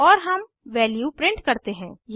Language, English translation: Hindi, And print the value